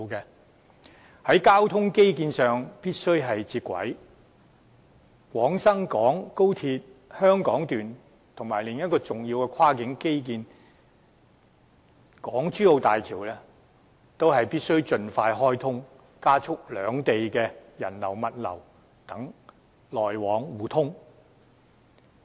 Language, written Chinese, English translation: Cantonese, 我們必須在交通基建上與內地接軌，廣深港高鐵香港段及另一個重要跨境基建港珠澳大橋也必須盡快開通，從而加速兩地的人流、物流等往來互通。, Since it is imperative for us to link up with the Mainland in terms of transport infrastructure XRL and the Hong Kong - Zhuhai - Macao Bridge another important undertaking of cross - boundary infrastructure must be commissioned as soon as possible thereby facilitating the mutual flow and access of people goods etc